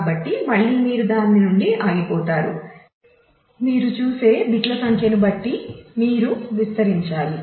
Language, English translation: Telugu, So, again you have run out of that; so, you need to expand in terms of the number of bits that you look at